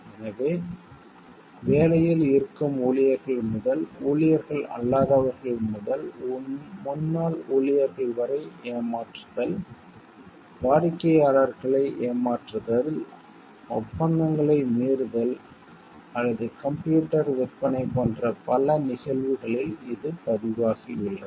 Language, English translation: Tamil, So, this has been reported in many cases with respective to cheating by employees at work non employees to former employees, cheating clients, violation of contracts or computer sales etc